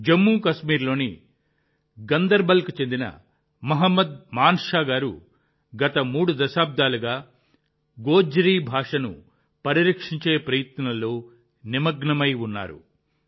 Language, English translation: Telugu, Mohammad Manshah ji of Ganderbal in Jammu and Kashmir has been engaged in efforts to preserve the Gojri language for the last three decades